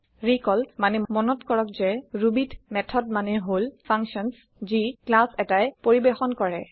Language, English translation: Assamese, Recall that in Ruby, methods are the functions that a class performs